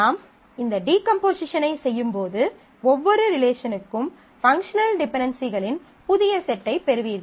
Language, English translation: Tamil, So, when you do this decomposition, for every relation you get a new set of subset of functional dependencies